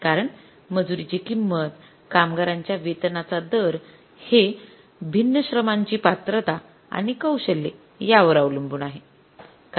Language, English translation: Marathi, Because price of the labor, rate of the pay of the labor is different depending upon the qualification and the skills of the labor